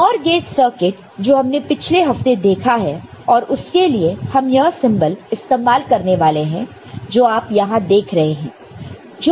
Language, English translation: Hindi, NOR gate circuit we have already seen before in earlier previous week and for that we are using the symbol the one that you see over here this symbol, ok